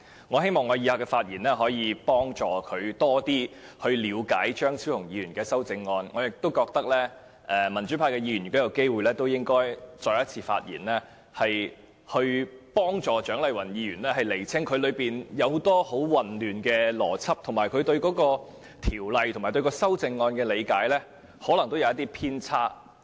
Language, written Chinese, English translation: Cantonese, 我希望我以下的發言可以協助她更了解張超雄議員的修正案，而我亦認為民主派議員如有機會應再次發言，以協助蔣麗芸議員釐清很多混亂的邏輯，因為她對《2017年僱傭條例草案》及修正案的理解可能有些偏差。, I hope what I am going to say will help her understand more about Dr Fernando CHEUNGs amendment and I also think that if possible Members from the pro - democracy camp should speak again in order to help Dr CHIANG Lai - wan straighten out much of her muddled reasoning because her understanding of the Employment Amendment No . 2 Bill 2017 the Bill and the amendment may be a bit mistaken